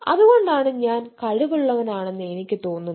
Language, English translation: Malayalam, so that is why i am feel that i am competent